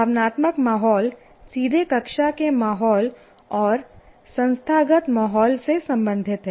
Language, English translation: Hindi, Now, the emotional climate is related directly to the classroom climate and the institutional climate